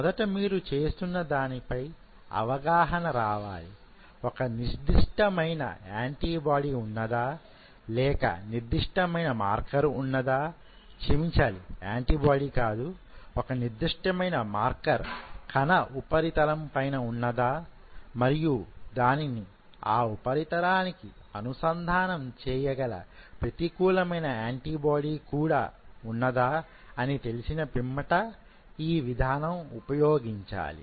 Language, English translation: Telugu, First of all you try to understand what you are doing, if the specific antibody is there and you have a or a specific marker is there sorry pardon my, language it is not antibody is the a specific marker is there, on the cell surface and you have a counter antibody to bind to it then only you should go for it